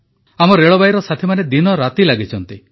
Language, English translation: Odia, Our railway personnel are at it day and night